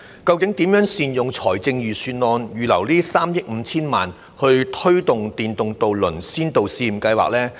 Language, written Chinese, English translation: Cantonese, 究竟應如何善用財政預算案預留的3億 5,000 萬元推行試驗計劃呢？, How should we make good use of the 350 million earmarked in the Budget for implementing the Pilot Scheme?